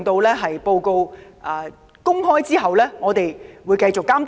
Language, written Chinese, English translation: Cantonese, 在報告公開後，我們會繼續監督問題。, After the report is made public we will continue to monitor the problems